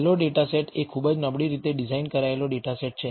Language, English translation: Gujarati, The last data set is a very poorly a designed data set